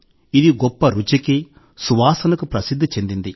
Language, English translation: Telugu, It is known for its rich flavour and aroma